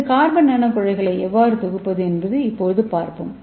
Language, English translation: Tamil, So let us see how to synthesis this carbon nano tube